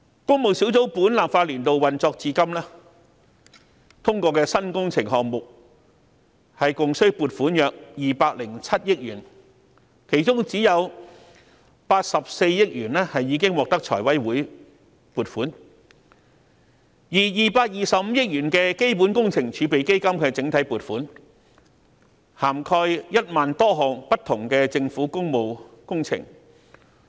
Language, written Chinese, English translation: Cantonese, 工務小組委員會自本立法年度運作至今，通過的新工程項目共須撥款約207億元，其中只有84億元獲得財委會撥款，而225億元的基本工程儲備基金的整體撥款，涵蓋1萬多項不同的政府工務工程。, Since the beginning of the current legislative session the Public Works Subcommittee has approved new works projects costing around 20.7 billion among which only 8.4 billion has been approved by FC . The Capital Works Reserve Fund Block allocations of 22.5 billion will be spent on more than 10 000 public works projects